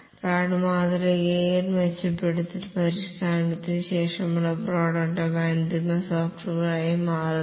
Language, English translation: Malayalam, In rad model the prototype itself after enhancement, refinement becomes the final software